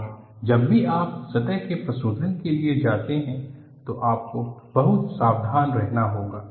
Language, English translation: Hindi, And whenever you go for a surface treatment, you will have to be very careful